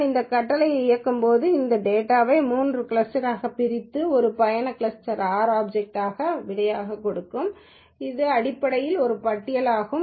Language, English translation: Tamil, When I execute this command it will divide the data into three clusters and it will assign the result as a trip cluster R object which is essentially a list